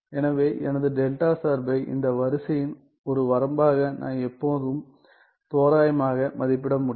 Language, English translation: Tamil, So, I can always approximate my delta function as a limit of this sequence what is this sequence